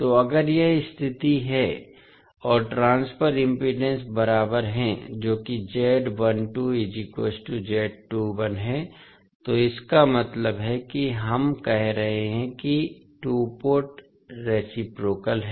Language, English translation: Hindi, So, if this is the condition and the transfer impedances are equal that is Z12 is equal to Z21, it means that we can say that two port is reciprocal